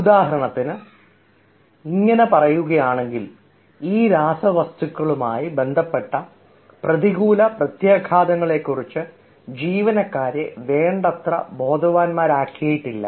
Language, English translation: Malayalam, say, for example, if we say: employees have not been made sufficiently awared of the potentially adverse consequences involved regarding these chemicals